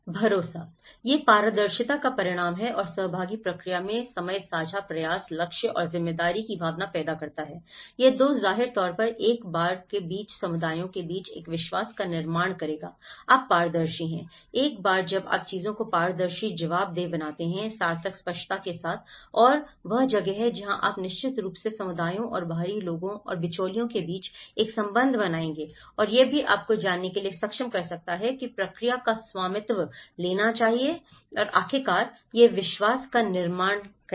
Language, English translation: Hindi, The trust; it is a result of transparency and the time in the participatory process creating a sense of shared effort, goals and responsibility so, this 2 will obviously build a trust between the communities between once, you are transparent, once you make things transparent, accountable, meaningful, with clarity and that is where you will definitely build a relationship between communities and outsider and the intermediaries